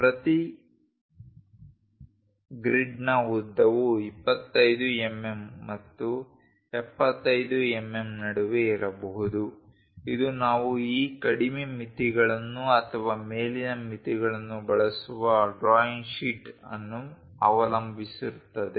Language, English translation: Kannada, The length of each grids can be between 25 mm and 75 mm depends on the drawing sheet we use these lower limits or the upper limits